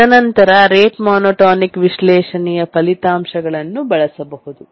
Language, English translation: Kannada, And then we can use the rate monotonic analysis results